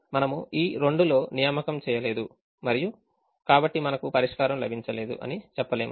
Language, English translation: Telugu, so we will not make an assignment in this two and say that we have got a solution